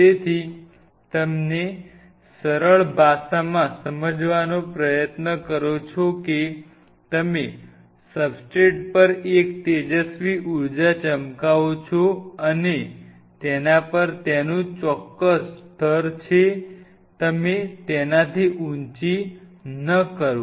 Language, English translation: Gujarati, So, you try to understand in simple language you shine a radiant energy on the substrate and it has its certain level on you do not go very high on it ok